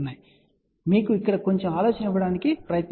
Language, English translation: Telugu, So, just to give you a little bit of an idea here